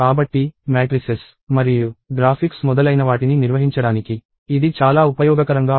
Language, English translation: Telugu, So, this comes in very handy for handling matrices and graphics and so on